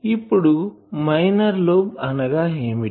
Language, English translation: Telugu, Now what is minor lobe